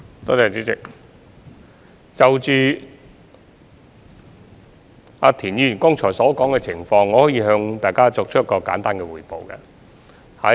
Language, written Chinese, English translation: Cantonese, 代理主席，就田議員剛才提到的情況，我可以向大家作一個簡單的匯報。, Deputy President regarding the situation mentioned by Mr TIEN just now I may report the case briefly to Members